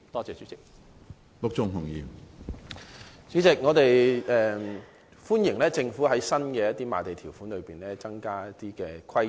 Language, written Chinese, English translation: Cantonese, 主席，我們歡迎政府在新用地的賣地條款中，加入設立電影院的規定。, President we welcome the Governments act of incorporating the requirement to include cinema in the land sale conditions of new sites